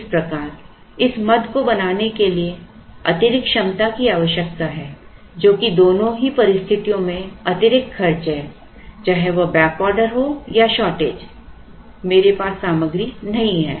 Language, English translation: Hindi, So, cost additional capacity to make this item in either case whether it is a back order or a shortage I do not have the material